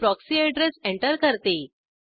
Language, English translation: Marathi, I will enter proxy port number